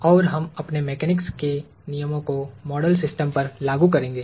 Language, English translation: Hindi, And, we will apply our laws of mechanics to the model system